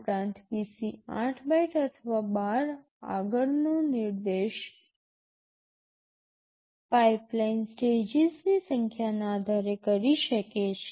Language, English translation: Gujarati, Also, PC can point to 8 bytes ahead or 12 depending on the number of pipeline stages